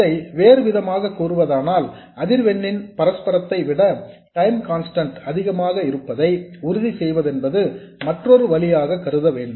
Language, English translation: Tamil, Or in other words, another way of saying that is to make sure that the time constant is much more than the reciprocal of the frequency